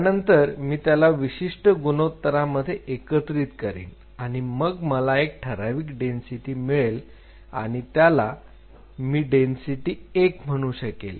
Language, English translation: Marathi, So, I mix them at a particular ratio and I achieve particular density say I said density 1